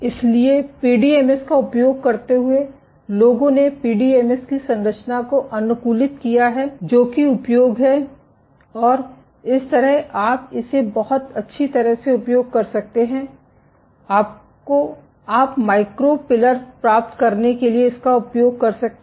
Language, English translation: Hindi, So, using PDMS people have optimized the composition of the PDMS that the use and like this you can use this very well you can use this for getting micro pillars